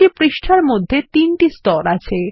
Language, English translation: Bengali, There are three layers in each page